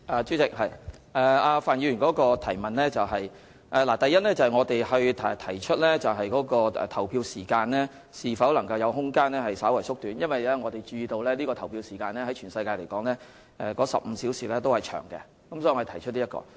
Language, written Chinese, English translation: Cantonese, 主席，就范議員的補充質詢，我想指出，第一，我們就投票時間是否有空間稍為縮短進行諮詢，是因為我們注意到，與世界其他地方比較，香港15小時的投票時間偏長。, President with respect to Mr FANs supplementary question I wish to point out that firstly we conducted a consultation on whether there was room to slightly shorten the polling hours because we were aware that compared to other places in the world Hong Kongs polling hours 15 hours were rather long